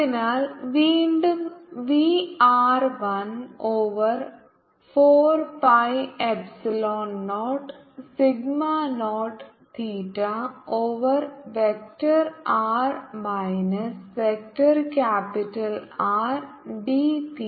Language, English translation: Malayalam, so again, we are equal to one over four pi epsilon naught sigma naught theta over vector r minus capital r, d theta, d phi